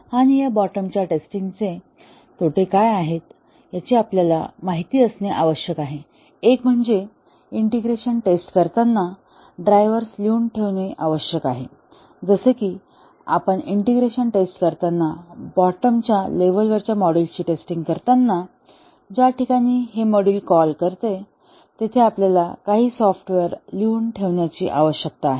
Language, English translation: Marathi, And we need to be aware what are the disadvantages of this bottom up testing, one is that we need to have drivers written as we do integration steps, since we are testing the bottom level modules we need to have some software written which will call these modules